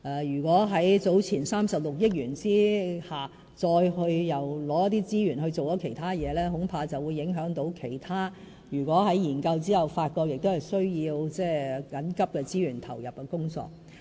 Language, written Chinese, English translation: Cantonese, 如果在早前的36億元之下再撥出資源做其他事，恐怕會影響其他在研究後發覺需要緊急投入資源的工作。, If more money on top of the earlier 3.6 billion is now allocated to other areas the work on those areas subsequently identified by the reviews as in need of resource investment may be affected